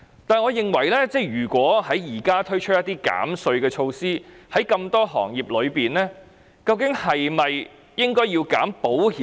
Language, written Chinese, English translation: Cantonese, 可是，我認為如果在現時推出一些減稅措施，在這麼多行業中，究竟應否減免保險業？, However in my opinion if tax reduction measures are to be introduced now why should the insurance industry among so many industries be granted reduction?